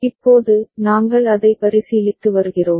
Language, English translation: Tamil, Now, we are considering it